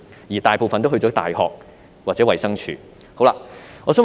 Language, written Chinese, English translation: Cantonese, 他們大多選擇在大學或衞生署工作。, Most of them opt for working in universities or DH